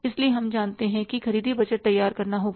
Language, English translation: Hindi, So, we know that purchase budget will be ready